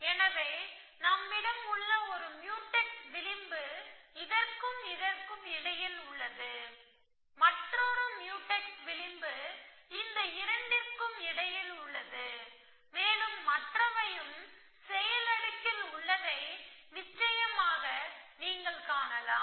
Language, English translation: Tamil, So, one Mutex edge that we have is between this and this, another Mutex edge is between these two, and there are others, of course that you can find, so that takes care of the action layer